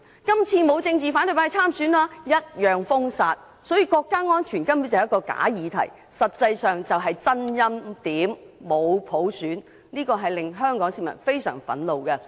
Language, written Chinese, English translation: Cantonese, 今次沒有反對派參選，但一樣被封殺，所以國家安全根本是一個假議題，實際上就是真欽點，沒有普選，香港市民非常憤怒。, No member of the opposition has stood in the Election this time around but some candidates are still prohibited from being elected . Thus national security is actually a pseudo - proposition . In fact this is an anointment rather than an election by universal suffrage and Hong Kong people are very angry